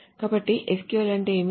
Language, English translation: Telugu, So that is the what is about SQL